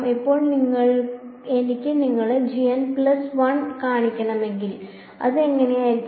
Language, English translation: Malayalam, Now if I want to show you g n plus one what will it look like